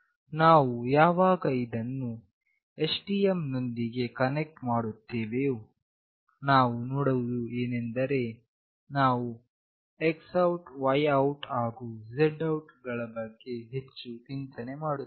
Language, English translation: Kannada, When we connect this with STM, we will be seeing that we are mostly concerned about this X OUT, Y OUT, and Z OUT